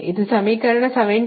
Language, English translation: Kannada, this is equation seventy eight